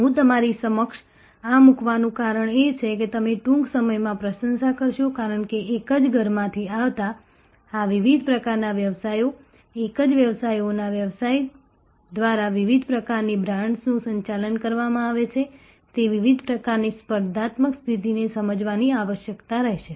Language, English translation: Gujarati, The reason I am putting this to you is that, you will appreciate soon, that because of this different types of businesses coming from the same house, different types of brands being managed by the same services business, there will be a necessity to understand the different types of competitive positions